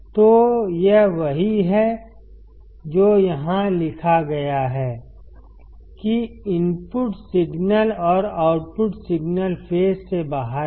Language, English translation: Hindi, So, that is what is written here, that the input signals and output signals are out of phase